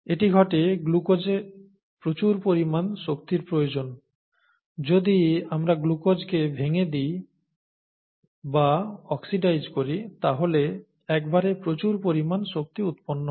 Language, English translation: Bengali, This happens because a large amount of energy in glucose, okay, if we split glucose, or if we oxidise glucose, a large amount of energy gets released at one time